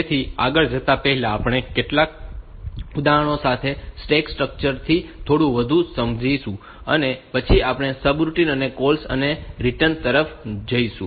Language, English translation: Gujarati, So, today before going further we will explain the stack structure a bit more, and with some examples and then go towards the subroutine and calls and returns